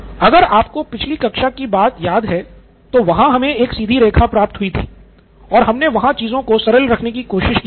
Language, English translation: Hindi, If you remember from last class we actually had a plot like this a straight line just to keep things simple